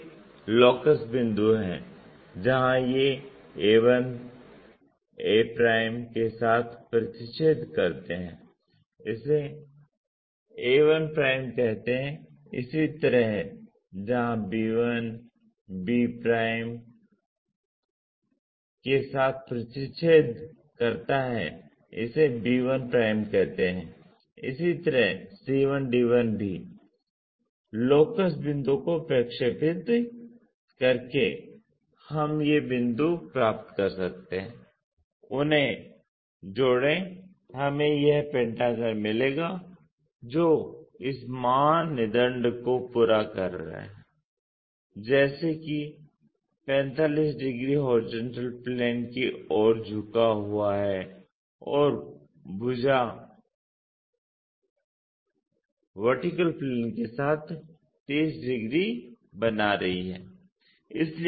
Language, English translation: Hindi, Have those locus points where these a intersect with a call a1', similarly where b1 intersects with b' call b1', similarly c1, d1 by projecting locus points we can get these points, join them we will get this pentagon which is meeting this criteria like 45 degrees inclined to HP and the side making 30 degrees with vertical plane